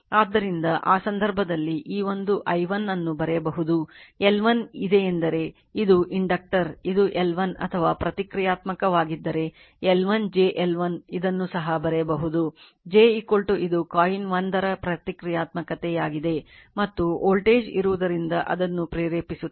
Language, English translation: Kannada, So, in that case you can write this one i1, L 1 is there this is the inductor this is L 1 or you can write or you can write if is a reactance you can put omega L 1 j omega L 1, this is also you can write j omega L 2 this is the reactance of coil 1 and because of there is voltage will induce it